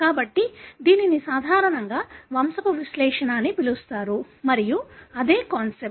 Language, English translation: Telugu, So, this is typically called as pedigree analysis and that is the concept